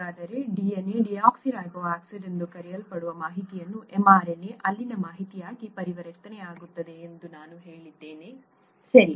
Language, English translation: Kannada, So we said that the information in what is called the DNA, deoxyribonucleic acid, gets converted to information in the mRNA, okay